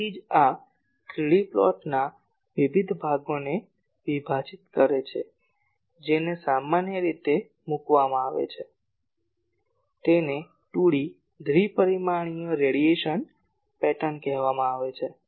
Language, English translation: Gujarati, So, for a that is why that sections various sections of this 3D plot that are generally put those are called 2D, two dimensional radiation patterns